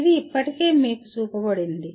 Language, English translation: Telugu, It has been already shown to you